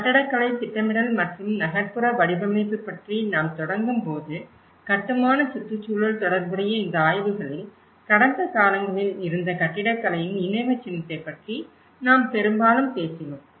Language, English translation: Tamil, When we start about architecture or planning or urban design any of these studies which are related to the built environment orientation, in the past, we mostly have talked about the monumentality of the architecture